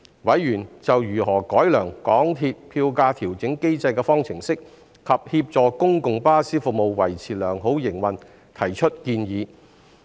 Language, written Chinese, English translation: Cantonese, 委員就如何改良港鐵票價調整機制的方程式，以及協助公共巴士服務維持良好營運提出建議。, Members also gave suggestions on how to enhance the MTR Fare Adjustment Mechanism formula and help maintain good operation of public bus services